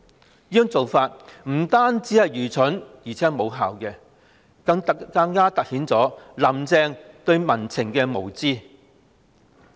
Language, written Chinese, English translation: Cantonese, 這種做法不單愚蠢，而且無效，更凸顯"林鄭"對民情的無知。, This approach is not only stupid but also ineffective and it all the more highlights Carrie LAMs ignorance of the peoples sentiment